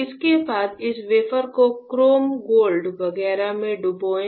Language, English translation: Hindi, Followed by followed by dipping this wafer in chrome gold etchant